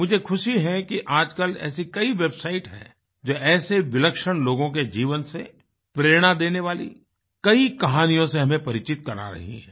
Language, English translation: Hindi, I am glad to observe that these days, there are many websites apprising us of inspiring life stories of such remarkable gems